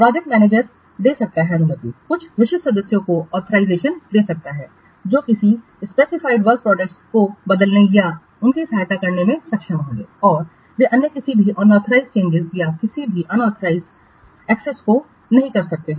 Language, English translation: Hindi, The project manager can give permission, can give authorization to some specific members who will be able to change or assess the specific work products and others they cannot make any unauthorized change or any unauthorized access